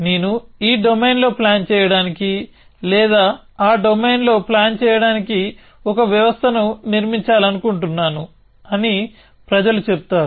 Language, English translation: Telugu, People would say I want to build a system for planning in this domain or planning in that domain and so on